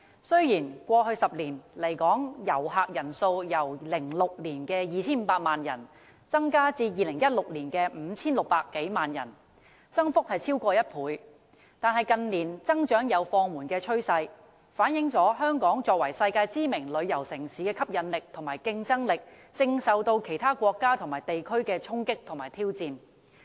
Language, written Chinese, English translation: Cantonese, 雖然在過去10年，來港旅客人數由2006年的 2,500 萬人次增至2016年的 5,600 多萬人次，增幅超過1倍，但近年增長有放緩趨勢，反映香港作為世界知名旅遊城市的吸引力和競爭力，正受到其他國家和地區的衝擊和挑戰。, Although the number of visitor arrivals to Hong Kong more than doubled in the past 10 years from 25 million in 2006 to more than 56 million in 2016 there is a trend that the increase has slowed down in recent years . This shows that Hong Kongs attractiveness and competitiveness as a world - famous tourist city is being undermined and challenged